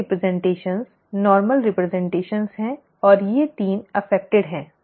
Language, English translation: Hindi, The other representations are the normal representations and these 3 are affected